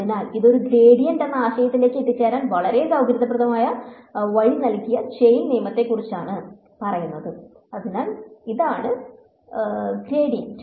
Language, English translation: Malayalam, So, this was about the chain rule which gave us the a very convenient way to arrive at the idea of a gradient so, this is the gradient